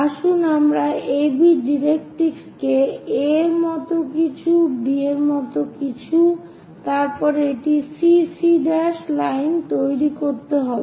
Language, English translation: Bengali, Let us name that as AB directrix something like A something as B, then a CC prime line we have to construct